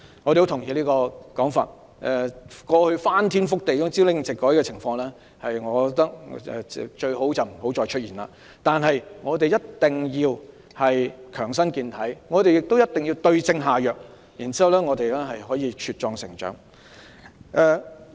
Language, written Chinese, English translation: Cantonese, 我同意這種說法，我認為過去翻天覆地、朝令夕改的情況最好不再出現，但我們必須強身健體，也必須對症下藥，然後我們便能茁壯成長。, I agree with what she says . I think it is better not to have another ever - changing policy that turns everything upside down . But we must fortify our body and find the right remedies so that we can grow up strong and healthy